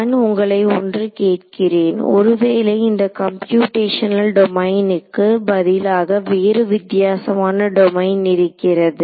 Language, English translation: Tamil, So, let me ask you supposing instead of such a computational domain I had a bit of a slightly different domain